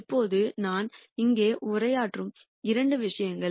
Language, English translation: Tamil, Now, the couple of things that I would address here